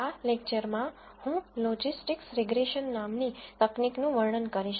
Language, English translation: Gujarati, In this lecture, I will describe a technique called Logistic regression